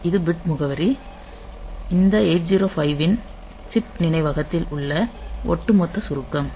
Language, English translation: Tamil, So, bit address overall summary of this 8051 on chip memory